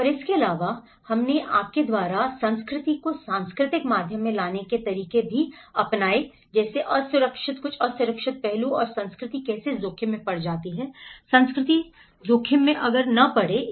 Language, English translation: Hindi, And also, we have brought the culture you know the how the cultural dimension into the vulnerable aspect and how culture becomes at risk, culture is at risk